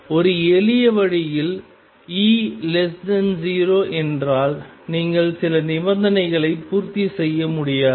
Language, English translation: Tamil, In a simple way if E is less than 0 you would not be able to satisfy certain conditions